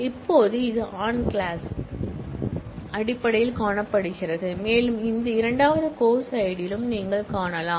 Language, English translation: Tamil, And now, this can be seen in terms of the on clause as well, and you can see in that second course id field